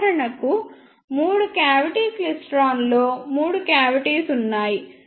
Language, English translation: Telugu, For example, in three cavity klystron, there are three cavities